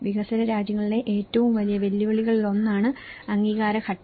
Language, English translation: Malayalam, The approval stage is one of the biggest challenges in developing countries